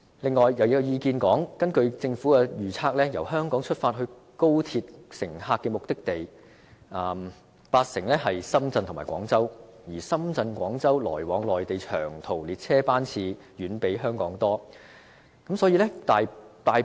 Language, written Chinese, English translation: Cantonese, 此外，亦有意見指出，根據政府預測，由香港出發的高鐵乘客，有八成的目的地是深圳和廣州，而深圳和廣州來往內地的長途列車，遠較香港來往內地的多。, Besides according to the prediction of the Government the destination of 80 % of the XRL travellers departing from Hong Kong is either Shenzhen or Guangzhou . Some people say that there are far more long - haul trains running between Shenzhen or Guangzhou and other places in the Mainland than running between Hong Kong and other places in the Mainland